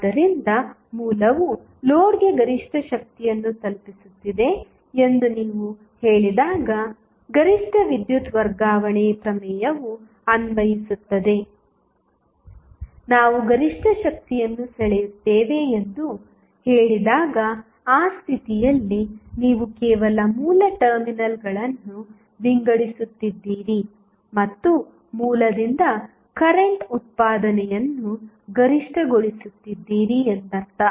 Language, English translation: Kannada, So, maximum power transfer theorem is applicable when you say that source is delivering maximum power to the load, when we say drawing maximum power it means that at that condition, you are simply sorting the source terminals and maximizing the current output from the source